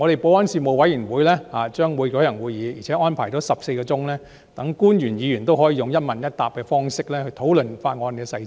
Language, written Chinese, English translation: Cantonese, 保安事務委員會將舉行會議，並且安排了14小時，讓官員和議員可以用"一問一答"的方式討論法案的細節。, The Panel on Security will hold meetings and 14 hours have been set aside for officials and Members to discuss the details of the Bill in a question - and - answer format